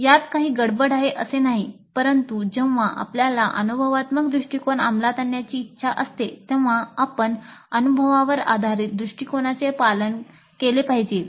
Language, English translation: Marathi, Not that there is anything wrong with it but when we wish to implement experiential approach we must follow the principles of experience based approach